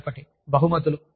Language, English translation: Telugu, The other is rewards